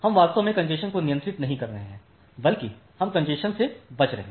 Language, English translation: Hindi, So, we are not actually controlling congestion rather we are avoiding congestion